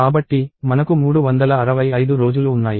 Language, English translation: Telugu, So, I have 365 days